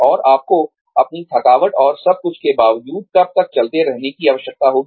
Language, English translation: Hindi, And, when will you need to keep going, on despite, your exhaustion and everything